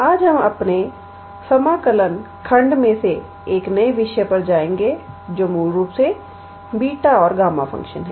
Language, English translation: Hindi, Today, we will jump into a new topic in our integral calculus section which is basically beta and gamma function